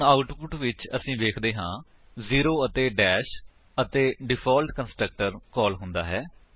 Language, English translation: Punjabi, So in the output we see zero and dash when the default constructor is called